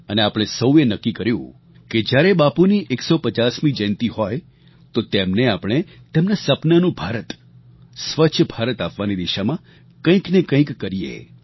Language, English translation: Gujarati, And, all of us took a resolve that on the 150th birth anniversary of revered Bapu, we shall make some contribution in the direction of making Clean India which he had dreamt of